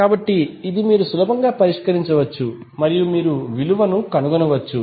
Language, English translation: Telugu, So, this you can easily solve and find out the value